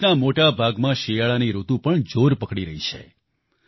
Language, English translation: Gujarati, A large part of the country is also witnessing the onset of winter